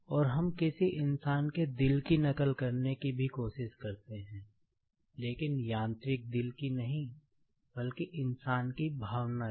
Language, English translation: Hindi, And, we also try to copy the heart of a human being, but not the mechanical heart, but the emotion of a human being